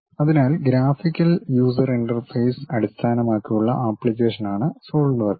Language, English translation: Malayalam, So, Solidworks is a graphical user interface based application